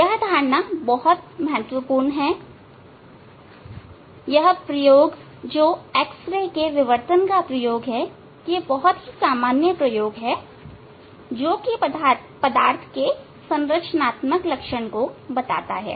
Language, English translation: Hindi, This concept is very important one experiment I know this the X ray diffraction experiment is very common experiment for characterization structural characterization of the sample